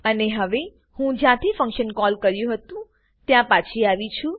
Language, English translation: Gujarati, And now Im back to where the function call was made